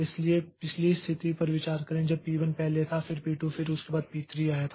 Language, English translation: Hindi, So, consider the previous situation when P1 was, P1 came first followed by P2 and followed by P3